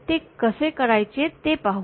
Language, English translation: Marathi, So, let us see how to do that